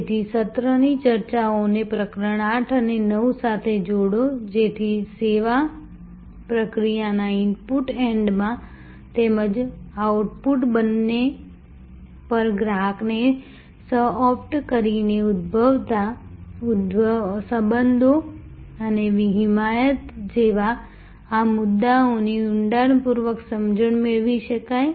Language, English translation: Gujarati, So, combine the session discussions with the chapter 8 and 9 to get a good, in depth understanding of these issues like relationship and advocacy that can arise by co opting the customer at both the input end of the service process as well as the output end